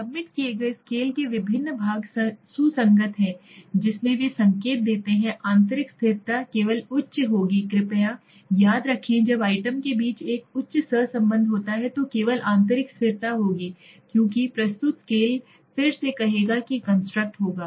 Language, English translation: Hindi, The different parts of a submitted scale are consistent in which they indicate, now forget this simple terms if you want to understand is internal consistency will only be high please remember when there is a high correlation among the items, then only there will be internal consistency because the submitted scale will again say that means this construct will